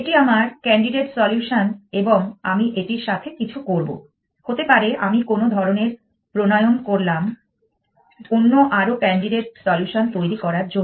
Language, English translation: Bengali, This is my candidate solution and I will do something with this may be I will do formulation of some sort to generate other candidates solutions